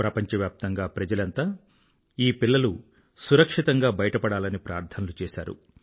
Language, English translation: Telugu, The world over, people prayed for the safe & secure exit of these children